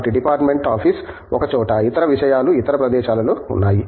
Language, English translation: Telugu, So, the department office is in one place, other things are in other places